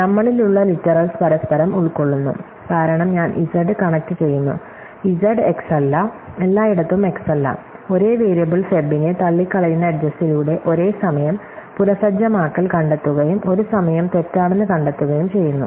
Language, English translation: Malayalam, And those witnesses at we mutually consist, because I connect z and not z x and not x everywhere by edges which rule out the same variable feb by founding reset true in one times, false in one times